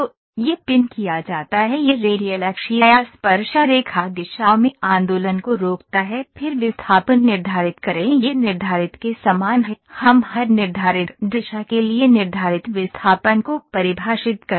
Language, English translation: Hindi, So, this is pinned it prevents the movement in radial axial or tangential directions then prescribe displacement this is similar to fixed we define prescribed displacement for every fixed direction